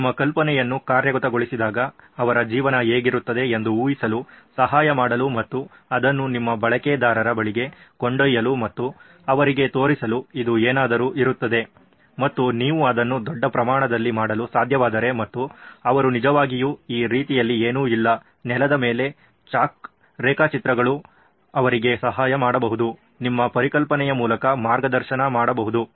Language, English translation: Kannada, What would their life look like when your, you know idea is implemented, there is something for you to help imagine as well as take it to your user and show them this is how it is going to be and if you can make it large scale and they can actually traverse through this nothing like that, chalk drawings on the ground, helping them, guide through your concept that also helps